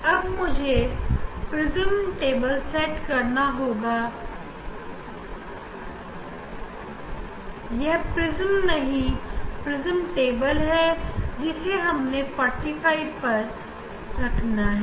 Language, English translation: Hindi, Now, I have to set prism; it is not prism this is prism table we have to put at 45